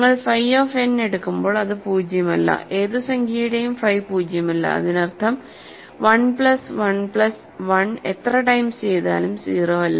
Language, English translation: Malayalam, So, when you take phi of n it is non zero, phi of any number is non zero; that means, 1 plus 1 plus 1 any finitely many times it is not 0 ok; so, that is never 0